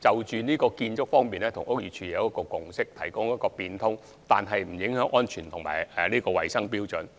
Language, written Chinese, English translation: Cantonese, 在建築方面，我們跟屋宇署有一個共識，就是可以有變通，但不會影響安全和衞生標準。, In terms of construction it is agreed by BD that there should be flexibility so long as safety and hygiene standards are not compromised